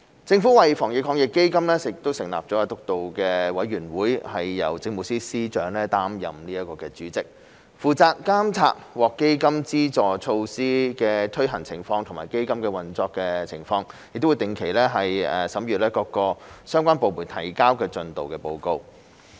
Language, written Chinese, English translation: Cantonese, 政府為基金成立防疫抗疫基金督導委員會，並由政務司司長擔任主席，負責監察獲基金資助措施的推行情況及基金的運作情況，並會定期審閱各相關部門提交的進度報告。, The Government has set up the Anti - epidemic Fund Steering Committee for AEF which is chaired by the Chief Secretary for Administration . It is responsible for monitoring the implementation of AEF - funded measures and the operation of AEF as well as examining the progress reports submitted by relevant departments on a regular basis